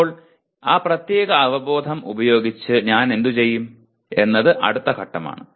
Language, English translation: Malayalam, Now what do I do with that particular awareness is the next level